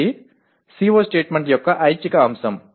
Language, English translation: Telugu, This is an optional element of a CO statement